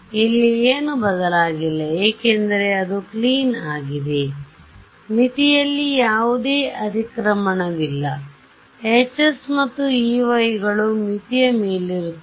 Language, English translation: Kannada, Nothing changed here because it is all clean there is no overlap with the boundary right the Hs are above the boundary the Es are E ys are above the boundary